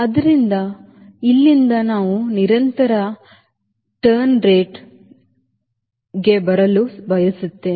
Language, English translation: Kannada, so from here we want to come to sustained turn rates